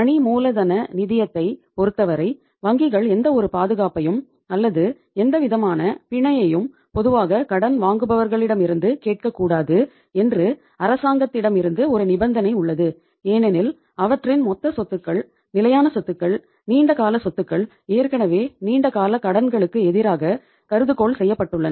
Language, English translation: Tamil, There is a condition from the government also that as far as the working capital finance is concerned banks cannot ask for any kind of the security or any kind of the collateral normally from the borrowers because their total assets, their fixed assets, their long term assets are already hypothecated against the long term loans